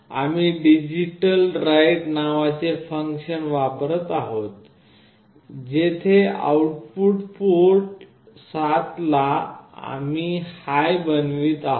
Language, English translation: Marathi, We are using a function called digitalWrite, where the output port 7 we are making high